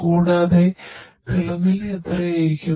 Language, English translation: Malayalam, And how much is the temperature